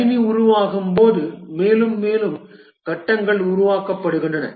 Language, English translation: Tamil, As the system develops, more and more phases are created